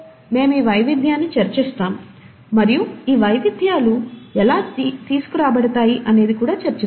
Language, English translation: Telugu, We’ll discuss this variation, and even in this variation, how are these variations brought about